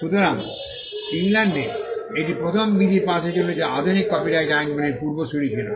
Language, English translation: Bengali, So, this was the first statute passed in England which was the precursor of modern copyright laws